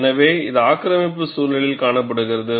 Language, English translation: Tamil, So, this is observed in aggressive environment